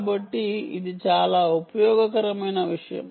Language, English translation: Telugu, so that is a very important